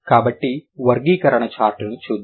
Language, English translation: Telugu, So, let's look at the classification chart